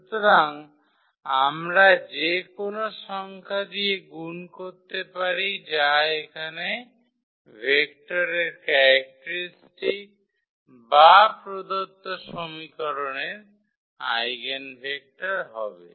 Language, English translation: Bengali, So, we can multiply by any number here that will be the characteristic a vector here or the eigenvector of the given equation